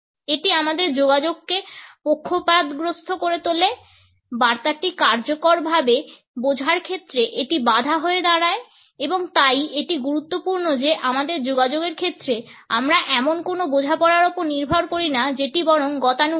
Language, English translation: Bengali, It becomes a bias in our communication, becomes a barrier in effective understanding of the message and therefore, it is important that in our communication we do not rely on any understanding which is rather clichéd